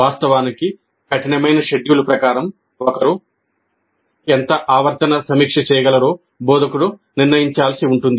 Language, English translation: Telugu, Of course, given the tight schedules, how much of periodic review one can do has to be decided by the instructor